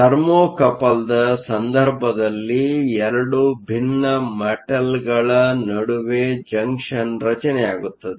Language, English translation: Kannada, In the case of a Thermocouple, a junction is formed between 2 dissimilar metals